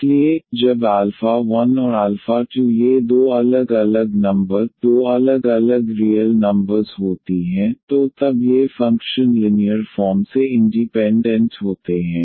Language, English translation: Hindi, So, when alpha 1 and alpha 2 these are two different numbers, two different real numbers, so then these functions are linearly independent